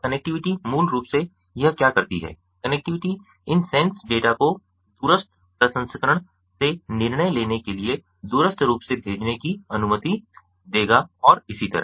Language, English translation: Hindi, basically, what it does is the connectivity will allow these sense data to be sent remotely for remote processing, decision making and so on